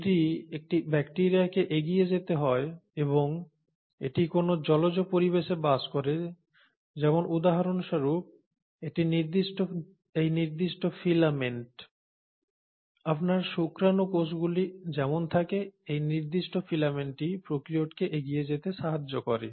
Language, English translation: Bengali, So if a bacteria has to move forward and it is residing in an aquatic environment for example, this particular filament, the way you have it in sperm cells, this particular filament allows the prokaryote to move forward